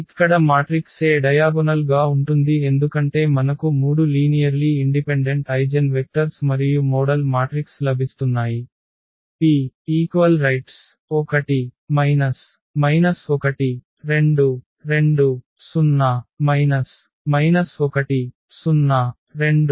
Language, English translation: Telugu, So, here the matrix A is diagonalizable because we are getting 3 linearly independent eigenvector and the model matrix P here we will place this 1 to 0 minus 0 2